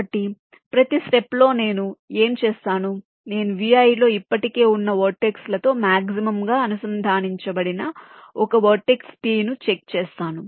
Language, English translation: Telugu, so what i do at every step, i check and find out a vertex, t, which is maximally connected to the vertices which are already there in v i